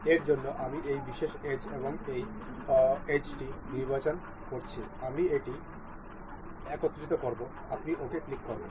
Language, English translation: Bengali, For this we I am selecting the this particular edge and this edge, I will mate it up, you will click ok